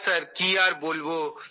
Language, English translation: Bengali, Yes sir what to say now